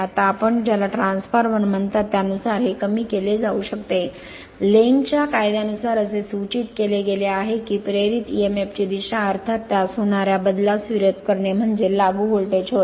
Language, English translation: Marathi, Now as per the your what you call for your transformer we have seen that this can be deduced by Lenz’s law which states that the direction of an induced emf is such as to oppose the change causing it which is of course, the applied voltage right